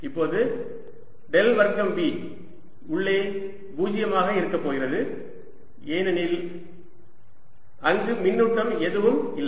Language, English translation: Tamil, now, del square v inside is going to be zero because there is no charge